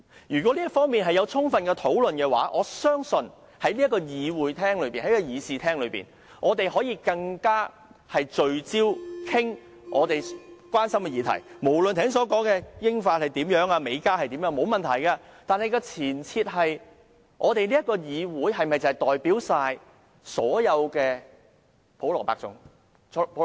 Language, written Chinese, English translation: Cantonese, 如果在這方面已有充分討論，我們便可以在議事廳裏更聚焦地討論大家關心的議題，無論是剛才所說的英法還是美加做法，這方面沒有問題，但立法會能否代表所有普羅百姓呢？, Had there been ample discussions on this issue we would have been able to discuss subjects of concern to us in this Chamber in a more focused manner . It does not matter whether we are going to discuss the practice of the United Kingdom France the United States or Canada as mentioned just now . But can the Legislative Council represent every ordinary citizen?